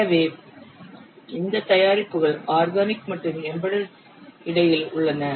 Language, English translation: Tamil, So, these products somewhere lie in between organic and embedded